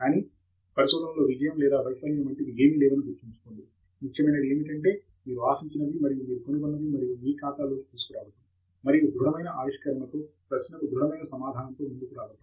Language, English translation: Telugu, But remember there is nothing like success or failure in research, what is important is, what you expect and what you have discovered, and taking that into your account and coming up with the solid discovery, with the solid answer to a question